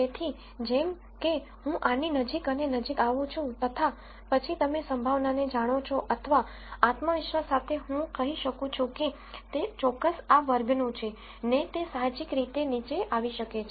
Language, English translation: Gujarati, So, as I come closer and closer to this then you know the probability, or the confidence with which I can say it belongs to particular class, can intuitively come down